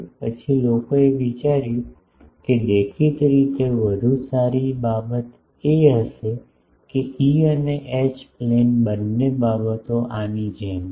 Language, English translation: Gujarati, Then people thought that to; obviously, a better thing will be that is both E and H plane things are there like this